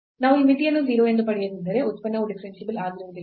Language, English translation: Kannada, If we do not get this limit as 0 then the function is not differentiable